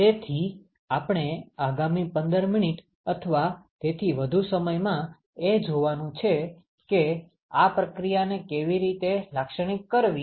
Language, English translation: Gujarati, So, what we are going to see for the next 15 minutes or so is to find out how to characterize this process